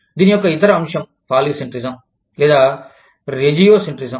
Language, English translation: Telugu, The other aspect, of this is, Polycentrism or Regiocentrism